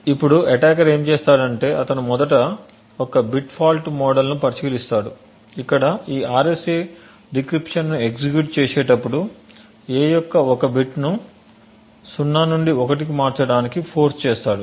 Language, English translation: Telugu, Now what the attacker would do is he would first consider a bit fault model where during the execution of this RSA decryption h forces 1 bit of a to go from 0 to 1 right